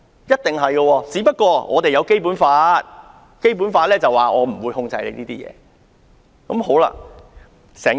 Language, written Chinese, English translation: Cantonese, 然而，香港實行《基本法》，《基本法》訂明中國不會控制香港的言論自由。, However the Basic Law which is the law for Hong Kong provides that China will not control freedom of speech in Hong Kong